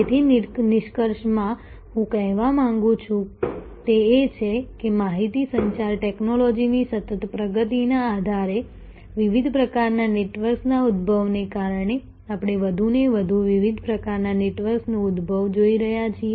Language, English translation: Gujarati, So, in conclusion, what I would like to say is that increasingly we see emergence of different kinds of networks due to emergence of different types of network riding on continuing advancement of information communication technology